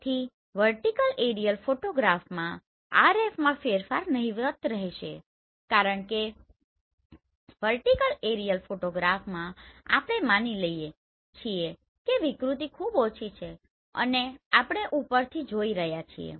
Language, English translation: Gujarati, So in a vertical aerial photograph variation in RF will be negligible right because in vertical aerial photograph we assume distortion is very less and we are seeing from the top